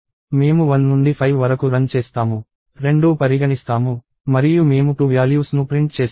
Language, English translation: Telugu, So, we run from one to 5, both inclusive, and we print the 2 values